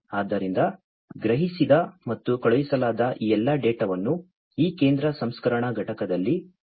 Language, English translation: Kannada, So, if then that all these data that are sensed and sent are stored in this central processing unit like this